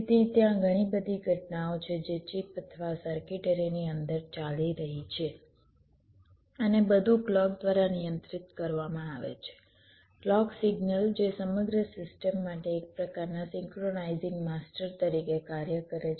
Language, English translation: Gujarati, so there are lot of events which are going on inside the chip or the circuitry and everything is controlled by a clock, a clock signal which acts as some kind of a synchronizing master for the entire system